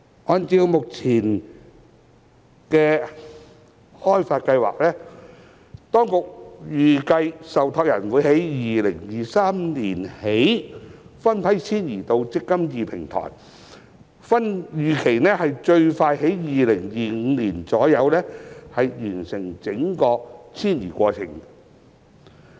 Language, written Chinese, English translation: Cantonese, 按照目前的開發計劃，當局預計受託人會由2023年起分批遷移至"積金易"平台，預期最快於2025年左右完成整個遷移過程。, Based on the current development plan the Administration envisages that trustees will start phased migration to the eMPF Platform from2023 and full onboarding is expected to complete in around 2025 at the earliest